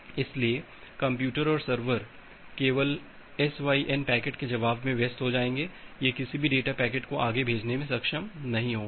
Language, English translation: Hindi, So, the computer and a server will only become busy to response to the SYN packets, it will not be able to send any data packets any further